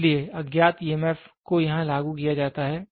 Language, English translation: Hindi, So, unknown EMF is applied here